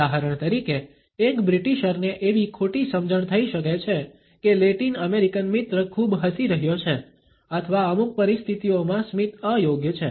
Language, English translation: Gujarati, For example, a British may miss perceived that the Latin American friend is smiling too much or that the smile is inappropriate in certain situations